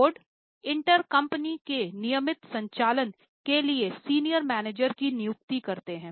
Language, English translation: Hindi, Board intern appoint senior managers for regular running of company